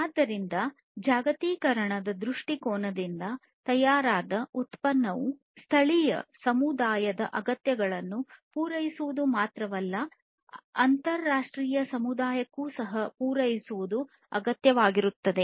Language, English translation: Kannada, So, what is required is from the globalization point of view the product that is manufactured should not only cater to the needs of the local community, but also to the international community